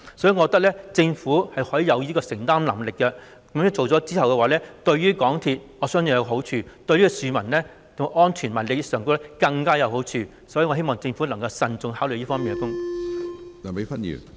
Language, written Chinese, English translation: Cantonese, 所以，我認為政府有此承擔能力，這樣做我相信對港鐵公司有好處，對市民的安全和利益更有好處，我希望政府能夠慎重考慮。, Therefore I consider that the Government can afford this initiative which I believe is good for MTRCL and even better for public safety and interests . I look forward to the Governments careful consideration in this regard